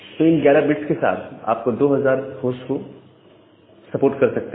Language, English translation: Hindi, So, with 11 bits, you can support 2000 number of host